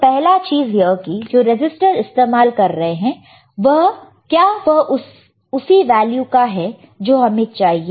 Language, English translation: Hindi, First thing is, that whether the resistor we are using is of the value that we want